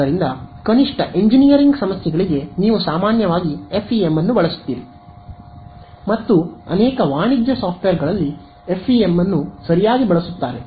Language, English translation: Kannada, So, at least for engineering problems very commonly you would use FEM and many commercial software use FEM ok